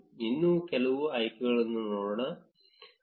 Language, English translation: Kannada, Let us look at few more options